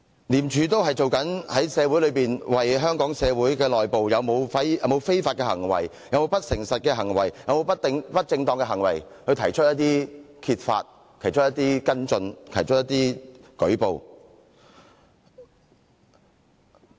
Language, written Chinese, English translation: Cantonese, 廉署都是正為香港社會揭發社會內部是否有非法行為、不誠實行為、不正當行為，然後作跟進和舉報。, It discovers illegal dishonest or improper activities in Hong Kong and then conducts investigation on them and reports about them